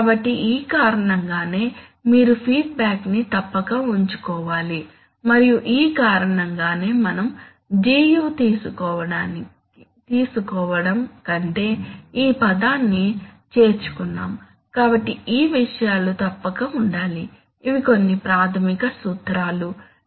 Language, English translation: Telugu, So it is for this reason that you must keep the feedback and it is for that reason that we have added this term rather than taking Gu, so these things must be, these are some, you know, some fundamental principles which must be realized in control